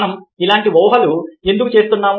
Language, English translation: Telugu, why are we making such assumptions